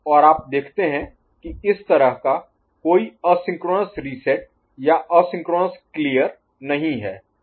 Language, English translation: Hindi, And, you see that there is no asynchronous reset as such asynchronous clear